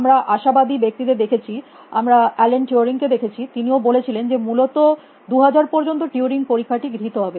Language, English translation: Bengali, You optimistic people, we have seen then Allen Turing also said that by 2000 the during test would be past essentially